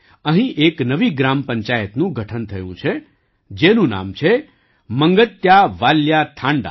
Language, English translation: Gujarati, A new Gram Panchayat has been formed here, named 'MangtyaValya Thanda'